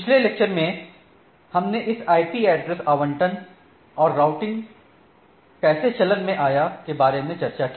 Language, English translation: Hindi, So, last day or in the last lecture I should say, we discussed about this IP address and allocation and how the routing come into play